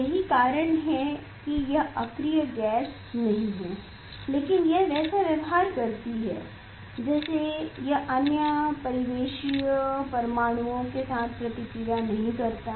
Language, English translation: Hindi, that is why it is the it is not inert gas, but it is the it is behave like it does not react with the other ambient atoms